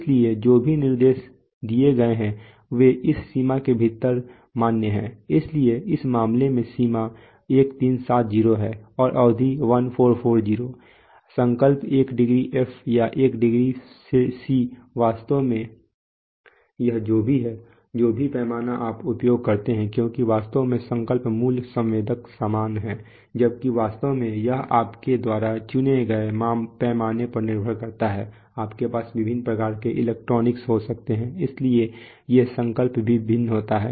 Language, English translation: Hindi, And etc, etc what so whatever specifications are given are valid within this range, so in, so in this case range is 1370 and span is 1440, the resolution is one degree F or one degree C actually it is whichever is, whichever scale you use because actually the resolution of the basic sensor is the same, while the actually it is depending on the scale that you choose, you can have different kind of electronics, so these, so the resolution also varies